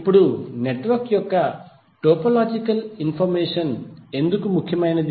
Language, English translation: Telugu, Now, why the topological information of the network is important